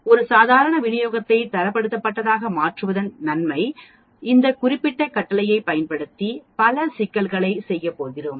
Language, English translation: Tamil, That is the advantage of converting a Normal Distribution into Standardized Normal Distribution and we are going to do many problems using this particular command